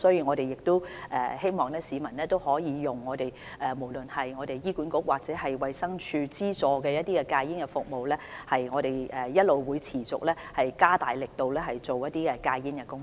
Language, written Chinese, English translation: Cantonese, 我們希望有需要的市民使用醫院管理局或衞生署資助的戒煙服務，同時，我們亦會持續加大力度進行控煙工作。, We hope people having such a need will use the smoking cessation services funded by the Hospital Authority or the Department of Health . At the same time we will also continue to step up our efforts in tobacco control